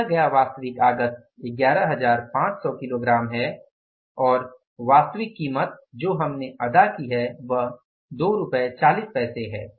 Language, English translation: Hindi, Actual input we have given is the 11,500 kgs and the actual price we have paid is that is 2